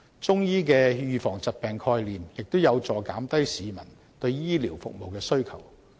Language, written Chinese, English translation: Cantonese, 中醫的預防疾病概念，亦有助減低市民對醫療服務的需求。, The disease prevention concepts in Chinese medicine may also help to reduce peoples demand for medical services